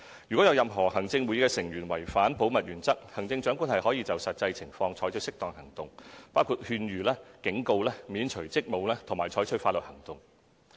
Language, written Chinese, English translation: Cantonese, 如有任何行政會議成員違反保密原則，行政長官可就實際情況採取適當行動，包括勸諭、警告、免除職務，以及採取法律行動。, In case of an Executive Council Member violating the principle of confidentiality the Chief Executive may depending on the circumstances take appropriate action including issuing an advice a warning removing him from office or taking legal action